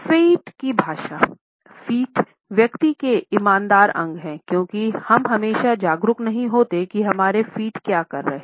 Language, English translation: Hindi, Feet language; feet are those honest part of the person because we are not always aware of what our feet are doing